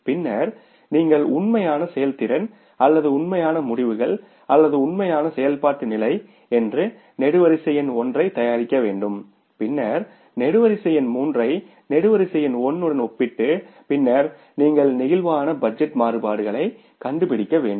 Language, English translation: Tamil, Then you have to prepare the column number one that is the actual performance or the actual results at the actual activity level and then compare the column number three with the column number one and then you have to find out the flexible budget variances